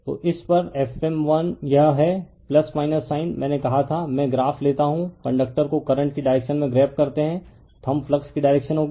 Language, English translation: Hindi, So, at this is your F m 1 this is plus minus sign I told you, I will take you graph the you grabs the conductor in the direction of the current the thumb will be the direction of the flux